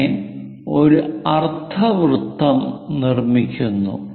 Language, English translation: Malayalam, So, semicircle is constructed